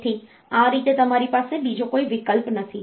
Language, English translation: Gujarati, So, that way in between you do not have any other option